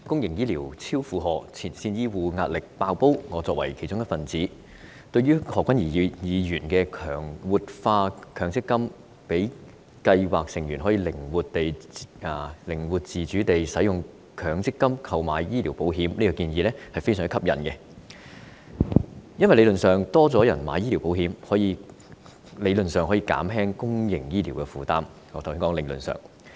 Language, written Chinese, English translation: Cantonese, 代理主席，公營醫療超負荷，前線醫護壓力"爆煲"，我作為其中一分子，對於何君堯議員提出活化強制性公積金計劃，讓計劃成員可以靈活自主地使用強積金購買醫療保障的建議，我認為是相當吸引的，因為如果較多人購買醫療保險，理論上便可以減輕公營醫療的負擔——我是說理論上。, Deputy President the public health care system is overstretched to the extent that the work pressure of the frontline health care personnel is on the verge of explosion . As a member of the health care system I find Dr Junius HOs proposal of revitalizing the Mandatory Provident Fund MPF by allowing scheme members flexibility and autonomy in using MPF to take out medical insurance very attractive . This is because in theory an increasing number of people taking out medical insurance should be able to alleviate the burden of the public health care system―I am saying this is what should happen in theory